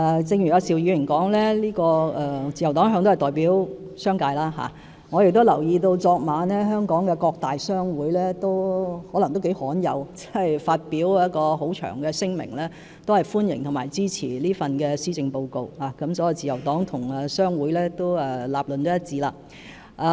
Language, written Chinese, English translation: Cantonese, 正如邵議員所說，自由黨一向都代表商界，我亦留意到昨晚香港各大商會或許是頗罕有地發表一份很長的聲明，表示歡迎和支持這份施政報告，可見自由黨與商會的立論是一致的。, As Mr SHIU has said the Liberal Party has all long represented the business sector and I also noticed that last night various major trade associations and chambers of commerce in a move which is probably quite rare issued a long statement expressing welcome and support for this Policy Address . This shows that the conclusions of the Liberal Party and the associations and chambers are consistent . Labour shortage is indeed a problem